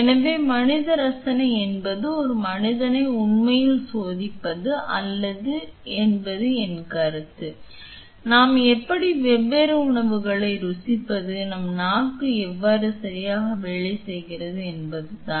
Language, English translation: Tamil, So, the human taste means not really testing a human my point is how can we taste different food, how our tongue works right like a how our nose work how our tongue works right